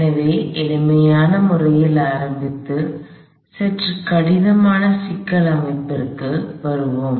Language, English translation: Tamil, So, we will start with the simple system and grow into a slightly more complicated system